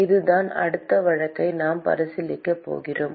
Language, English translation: Tamil, That is the next case we are going to consider